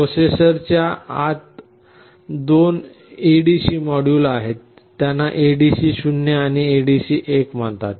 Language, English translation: Marathi, Inside the processor there are two such ADC modules, they are called ADC0 and ADC1